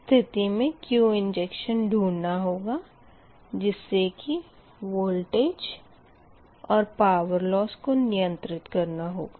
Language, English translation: Hindi, also, i have to find out what will be the q injection such that i can maintain this voltage and such the same time of the power loss